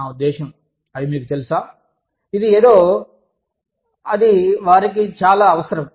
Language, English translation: Telugu, I mean, they are, you know, this is something, that is very, very essential for them